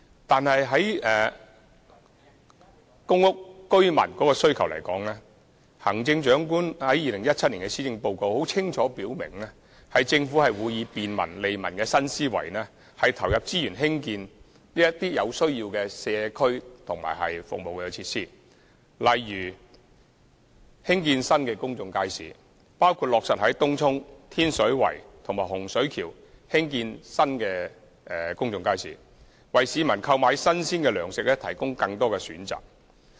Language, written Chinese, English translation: Cantonese, 但是，在公屋居民日常生活需要方面，行政長官在2017年施政報告中清楚表明，政府會以便民利民的新思維，投入資源興建有需要的社區和服務設施，例如興建新的公眾街市，包括落實在東涌、天水圍和洪水橋興建新公眾街市，為市民購買新鮮糧食提供更多選擇。, That said regarding the daily needs of residents of public housing the Chief Executive expressly stated in the 2017 Policy Address that the Government would based on its new thinking on governance focused on brining benefits and convenience to the public make available resources for building necessary facilities for communities and for provision of services such as building new public markets including finalizing the building of new public markets in Tung Chung Tin Shui Wai and Hung Shui Kiu with a view to offering wider choices of fresh food